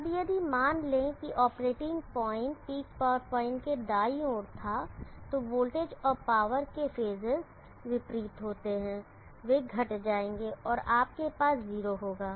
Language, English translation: Hindi, Now if suppose the operating point was on the right side of the peak power point the phases of the voltage and power are opposite they will subtract and you will have 0